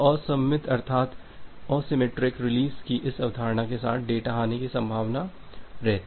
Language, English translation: Hindi, So, there would be a possibility of data loss with this concept of asymmetric release